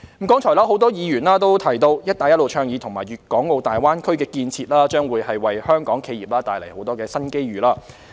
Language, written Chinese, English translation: Cantonese, 剛才多位議員提到，"一帶一路"倡議和粵港澳大灣區建設將會為香港企業帶來很多新機遇。, A number of Members have just mentioned that the Belt and Road Initiative and the development of the Guangdong - Hong Kong - Macao Greater Bay Area will bring many new opportunities for Hong Kong enterprises